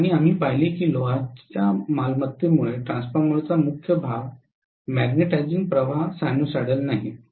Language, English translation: Marathi, And we saw that because of the property of iron which is the core of the transformer the magnetizing currents are not sinusoidal